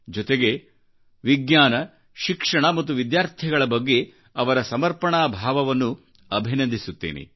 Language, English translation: Kannada, I also salute your sense of commitment towards science, education and students